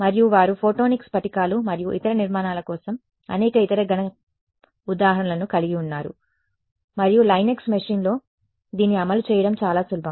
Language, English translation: Telugu, And, they have lots of other solid examples for photonic crystals and other structures like that and its easiest to run it on a Linux machine